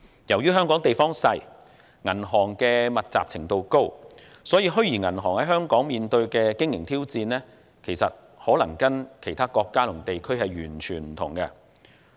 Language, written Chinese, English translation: Cantonese, 由於香港地方小，銀行密集程度高，所以，虛擬銀行在香港面對的經營挑戰與其他國家和地區完全不同。, As Hong Kong is a small place with a high concentration of banks the operational challenges facing virtual banks in the territory are completely different from those in the other countries and areas